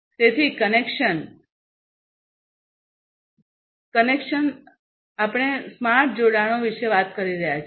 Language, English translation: Gujarati, So, connection: so, we are talking about smart connections